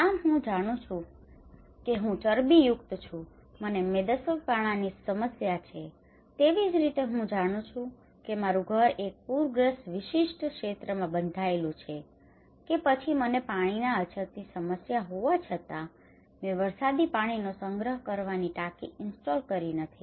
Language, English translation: Gujarati, So I know I am fat, I have obesity problem, I know my house is built in a particular area that is flood prone or I know that I did not install the rainwater harvesting tank because I have water scarcity problem, but still I did not do it